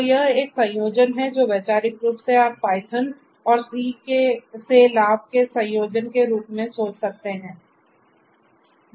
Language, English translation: Hindi, So, it is a combination of you can think of conceptually as a combination of benefits from python and c